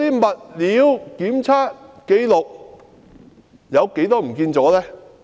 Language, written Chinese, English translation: Cantonese, 物料檢測紀錄遺失了多少呢？, How many materials testing records have gone missing?